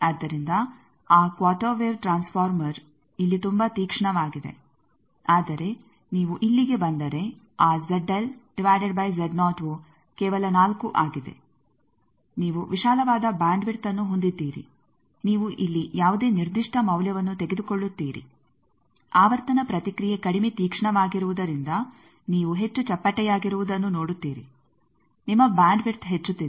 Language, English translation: Kannada, So, that quarter wave transformer is very sharp here, but if you come here that is only Z L by Z naught is four you have a wider bandwidth you take any particular value here you see that as the frequency response is less sharper more flat then your bandwidth is increasing